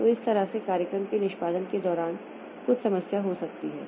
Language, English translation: Hindi, So, that way during program execution there may be some problem